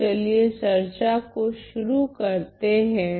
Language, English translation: Hindi, So, let us start the discussion